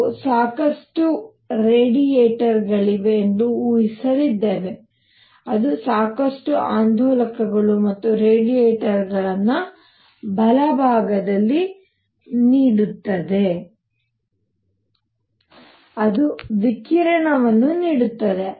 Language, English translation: Kannada, We are going to assume that there are lot of radiators, which give out lot of oscillators and radiators inside right, which give out radiation